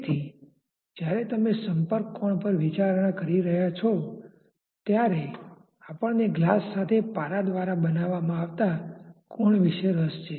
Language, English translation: Gujarati, So, when you are considering the contact angle say we are interested about the angle that is made by the mercury with the glass